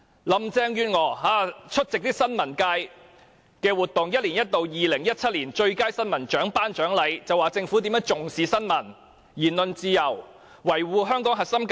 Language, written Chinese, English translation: Cantonese, 林鄭月娥出席新聞界一年一度的 "2017 年最佳新聞獎"頒獎典禮時說政府重視新聞、言論自由，以及維護香港的核心價值。, When she attended the award presentation ceremony for the Hong Kong News Award 2017 organized annually by the press sector Carrie LAM said that the Government attached importance to news and the freedom of speech and that the Government upheld the core values of Hong Kong